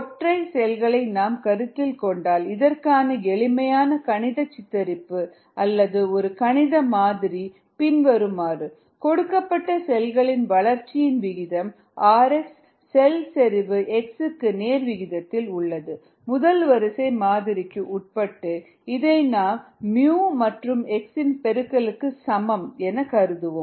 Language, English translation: Tamil, if we consider single cell, the simplest mathematical representation or a mathematical model is as follows: the rate of cell growth, as given by r x, is directly proportional to the cell concentration, x, first order model, or equals a certain mu into x